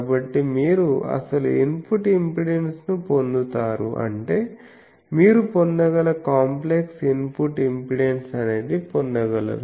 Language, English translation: Telugu, So, you get the actual input impedance; that means, the complex input impedance you can get that is one thing